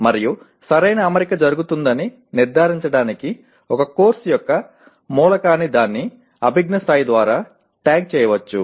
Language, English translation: Telugu, And to ensure that the proper alignment takes place an element of a course can be tagged by its cognitive level